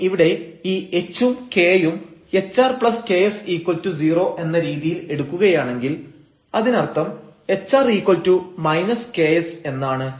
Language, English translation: Malayalam, So, if we take this h and k such that; this hr plus ks is 0, that means, hr is equal to minus ks